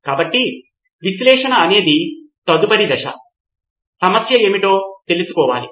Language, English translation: Telugu, So analyze is the next phase to find out what is the problem